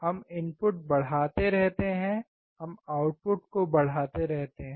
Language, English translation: Hindi, We keep on increasing input; we see keep on increasing the output